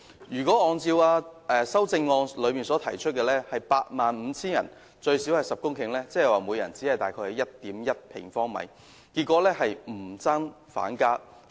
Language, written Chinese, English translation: Cantonese, 如果按照他的修正案提出的每 85,000 人最少10公頃標準計算，即每人只有 1.1 平方米，結果是不增反減。, According to Mr WANs proposal a minimum of 10 hectares should be provided per 85 000 persons or 1.1 sq m per person only . In this way the open space has ended up being reduced not increased